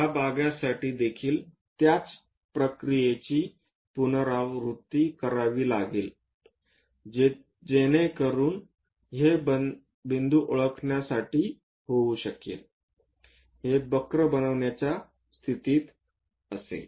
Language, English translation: Marathi, Same procedure one has to repeat it for this part also so that one will be in a position to identify these points, construct this curve